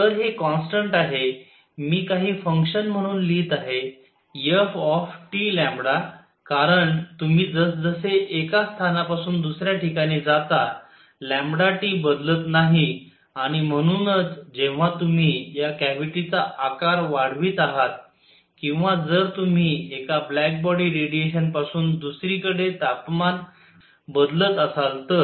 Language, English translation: Marathi, So, this constant; I am going to write as some function f of lambda T because lambda T does not change as you go from one place to the other and therefore, as you increase this cavity size or if you change the temperature from one black body radiation to the other